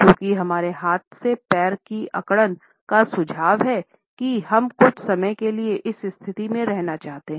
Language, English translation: Hindi, Since the clamping of the leg with our hands suggest that we want to stay in this position for certain time